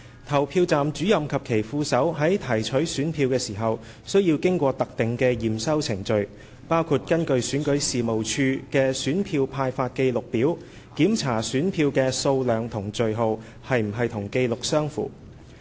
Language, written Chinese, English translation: Cantonese, 投票站主任及其副手在提取選票時須經過特定的檢收程序，包括根據選舉事務處的選票派發記錄表，檢查選票的數量和序號是否與紀錄相符。, When collecting the ballot papers PROs and their deputies had to undergo specified procedures including checking the quantity and serial numbers of the ballot papers against the Summary of ballot paper stock allocated to individual polling station of REO